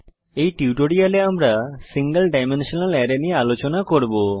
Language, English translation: Bengali, We will be discussing single dimensional array in this tutorial